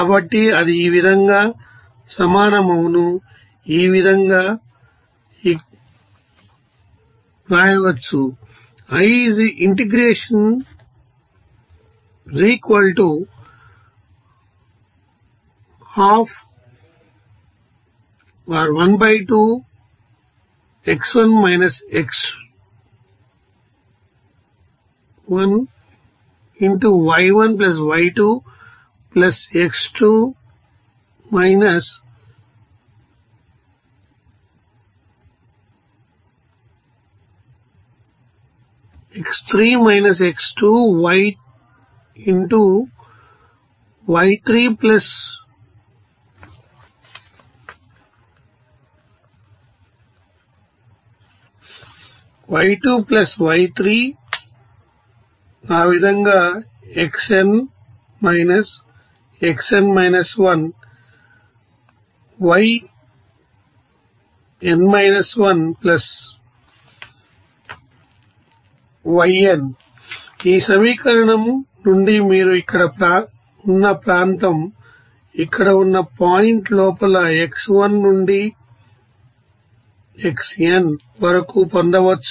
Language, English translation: Telugu, So that will be is equal to here we can write So, from this equation you can obtain of what will be the you know, area under a, you know you know line within you know point here, where x1 to xn